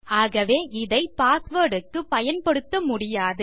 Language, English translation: Tamil, So, its not good to use it for a password